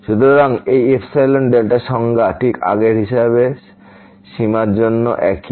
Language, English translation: Bengali, So, this epsilon delta definition is exactly the same as earlier for the limit